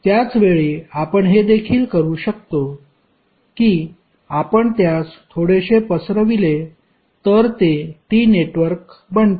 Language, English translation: Marathi, At the same time, you could also, if you stretch it a little bit, it will become a T network